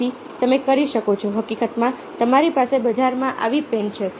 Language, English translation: Gujarati, so you can e in fact you have such pens in the market